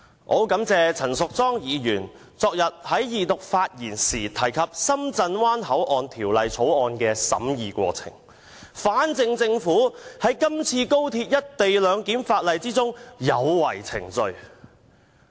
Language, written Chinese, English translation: Cantonese, 我很感謝陳淑莊議員昨天發言時提及《深圳灣口岸港方口岸區條例草案》的審議過程，反證政府在今次《條例草案》的審議有違程序。, I am very grateful to Ms Tanya CHAN for mentioning the scrutiny of the Shenzhen Bay Port Hong Kong Port Area Bill in her speech yesterday to prove using an opposite example that the Government has violated the procedures in the scrutiny of the Bill